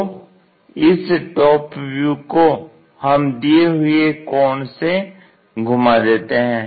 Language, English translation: Hindi, So, this one we rotate it with certain angle